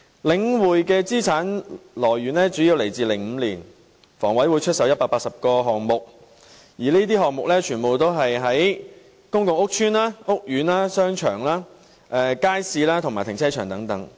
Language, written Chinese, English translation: Cantonese, 領匯的資產來源主要是香港房屋委員會在2005年出售的180個項目，而這些項目全部是在公共屋邨和屋苑內的商場、街市和停車場。, The source of the assets of The Link REIT was mainly the 180 items sold by the Hong Kong Housing Authority HA in 2005 and all of them are the shopping centres markets and car parks located in public housing estates and Home Ownership Scheme courts